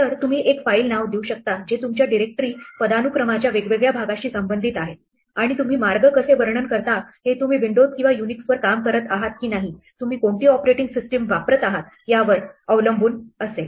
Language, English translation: Marathi, So, you can give a file name which belongs to the different part of your directory hierarchy by giving a path and how you describe the path will depend on whether you are working on Windows or Unix, what operating system you are using